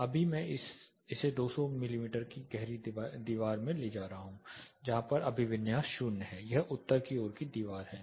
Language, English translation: Hindi, Right now I am taking it 200 mm deep wall here the orientation is 00 this is a north facing wall